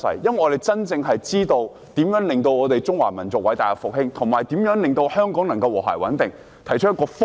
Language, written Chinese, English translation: Cantonese, 我們真的知道如何令中華民族偉大復興，以及如何令香港和諧穩定，因此，我們提出了一個方向。, We really know how to make the Chinese nation great again and how to foster stability and harmony in Hong Kong so here we suggest a direction